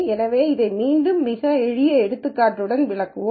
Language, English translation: Tamil, So, let us again illustrate this with a very simple example